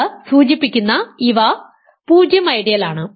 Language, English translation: Malayalam, They are 0 ideal this corresponds to